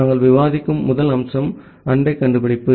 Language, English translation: Tamil, The first feature that we will discuss is neighbor discovery